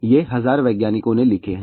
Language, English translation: Hindi, These are written by 1000 scientists or so